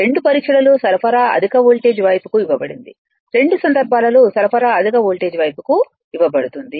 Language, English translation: Telugu, In both the tests supply is given to high voltage side right, supply is given both the cases to high voltage side